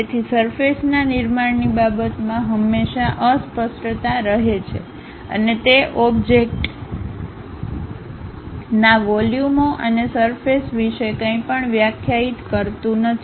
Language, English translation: Gujarati, So, there always be ambiguity in terms of surface construction and it does not define anything about volumes and surfaces of the object